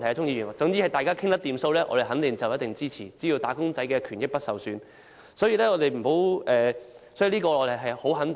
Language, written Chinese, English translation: Cantonese, 鍾議員，只要大家能夠達成協議，而"打工仔"的權益不會受損，我可以肯定說我們必定支持。, Mr CHUNG so long as a consensus can be reached by all parties and the benefits of wage earners will not be compromised I can assert that we will definitely render it our support